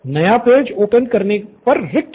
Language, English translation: Hindi, New page would be blank